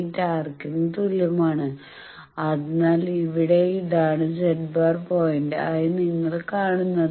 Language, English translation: Malayalam, 8 arc, so by that you see that here this is the point which is the Z bar point